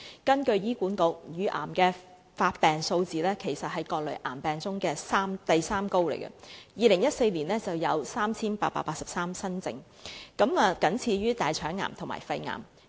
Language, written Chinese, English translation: Cantonese, 根據醫管局的資料，乳癌的發病數字在各類癌症中位列第三高，在2014年有 3,883 宗新症，僅次於大腸癌和肺癌。, According to the information of HA the incidence of breast cancer ranks the third highest among all types of cancer . In 2014 the number of new cases was 3 883 only after that of colorectal cancer and lung cancer